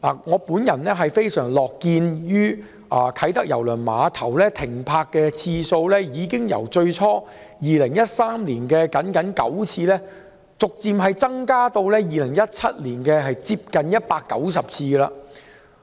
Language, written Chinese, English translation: Cantonese, 我樂見啟德郵輪碼頭的郵輪停泊次數，由最初2013年僅僅9次，逐漸增至2017年接近190次。, I am pleased to see that the number of cruise liner calls at KTCT had gradually increased from just 9 in 2013 to nearly 190 in 2017